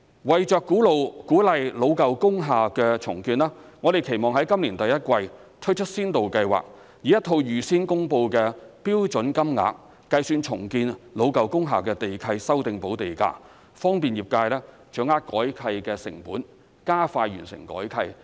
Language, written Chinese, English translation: Cantonese, 為鼓勵老舊工廈重建，我們期望在今年第一季推出先導計劃，以一套預先公布的標準金額計算重建老舊工廈的地契修訂補地價，方便業界掌握改契成本，加快完成改契。, To encourage the redevelopment of old industrial buildings we hope to introduce a pilot scheme in the first quarter of this year to calculate land premium for lease modification at standard rates promulgated in advance facilitating the sector to grasp the cost for lease modification and speeding up the completion of lease modification